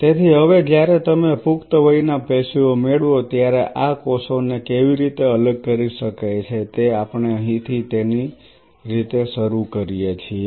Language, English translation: Gujarati, So, now, how one can separate these cells out when you get an adult tissue this is where we start it right